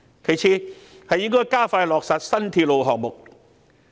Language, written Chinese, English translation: Cantonese, 其次，政府應加快落實新鐵路項目。, Second the Government should accelerate the implementation of new railway projects